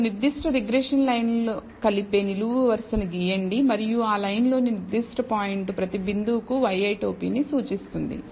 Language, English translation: Telugu, You draw the vertical line which intersects this particular regression line and that particular point on that line will represent y i hat for every point